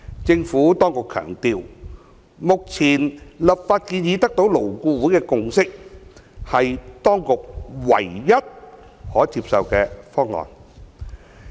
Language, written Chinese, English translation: Cantonese, 政府當局強調，目前的立法建議得到勞工顧問委員會的共識，是當局唯一可接受的方案。, The Administration stresses that the present legislative proposal has secured the consensus of the Labour Advisory Board LAB and is considered the only acceptable option